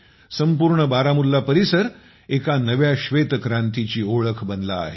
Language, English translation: Marathi, The entire Baramulla is turning into the symbol of a new white revolution